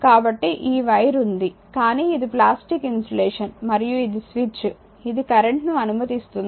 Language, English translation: Telugu, So, this wire is there, but it is your plastic insulation right and that switch I told you it will allow this allow the current